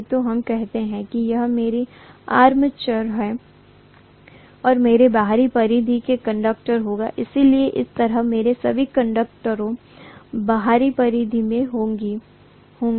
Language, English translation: Hindi, So let us say this is my armature, okay and I am going to have the conductors at the outer periphery, so I am going to have conductors all over in the outer periphery like this, right